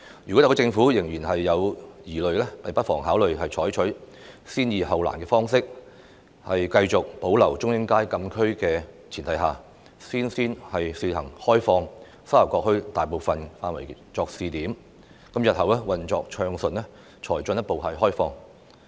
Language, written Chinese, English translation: Cantonese, 如果特區政府仍有疑慮，不妨考慮採取先易後難的方式，在繼續保留中英街禁區的前提下，先試行開放沙頭角墟大部分範圍作為試點，日後運作暢順後才進一步開放。, If the SAR Government still has doubts it might as well consider tackling easier issues first . It can under the premise of maintaining the closed area of Chung Ying Street open up most of the Sha Tau Kok Town on a pilot basis first and then the rest of it when smooth operation has been achieved in the future